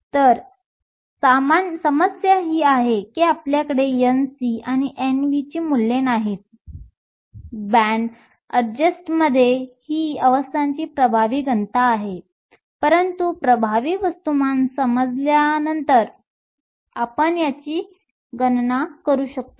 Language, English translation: Marathi, So, the problem is we do not have the values of N c and N v; these are the effective densities of states at the band adjust, but these we can calculate once we know the effective mass